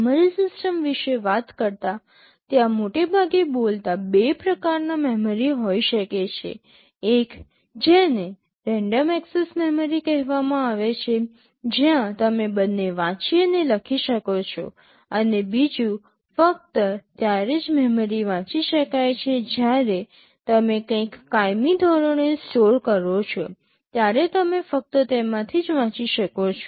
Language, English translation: Gujarati, Talking about the memory system broadly speaking there can be two kinds of memory; one which is called random access memory where you can both read and write, and the other is read only memory when you store something permanently you can only read from them